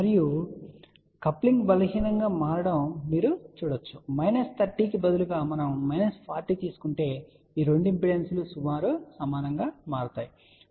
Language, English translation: Telugu, And you can see that as the coupling becomes weak ok instead of minus 30 if we take minus 40 you will see that these two impedances will become approximately equal